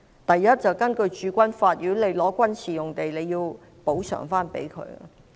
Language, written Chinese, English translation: Cantonese, 第一，根據《駐軍法》，如果收回軍事用地，便須用另一幅土地作補償。, Firstly according to the Garrison Law if a military site is resumed it is necessary to provide another site in return